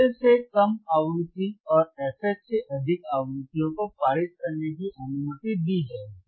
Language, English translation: Hindi, The frequencies less than less than f L and frequencies greater than f H would be allowed to pass would be allowed to pass